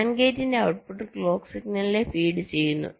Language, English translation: Malayalam, the output of the and gate is feeding the clock signal